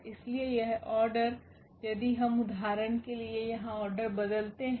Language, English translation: Hindi, So, this order if we change for instance the order here